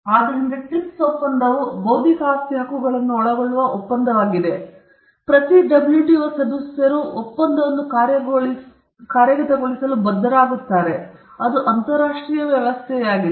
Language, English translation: Kannada, So, the TRIPS agreement, is the agreement which covers intellectual property rights, and every WTO member is bound to implement that agreement, because it was an international arrangement